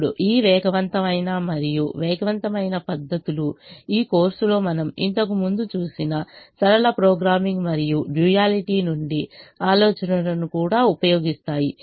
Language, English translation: Telugu, now these faster and quicker methods also use ideas from linear programming and duality that we have seen earlier in this course